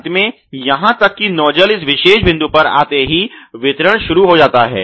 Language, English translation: Hindi, Finally, even the nozzle comes to this particular point it should start the dispensing